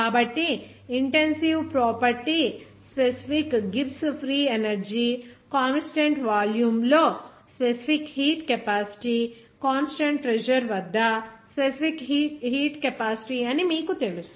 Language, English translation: Telugu, So, respective you know the intensive property will be the specific Gibbs free energy, specific heat capacity at constant volume, specific heat capacity at constant pressure they are